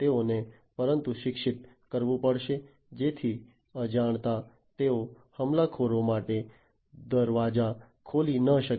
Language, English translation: Gujarati, So, they will have to be educated enough so that unintentionally they do not open the doors for the attackers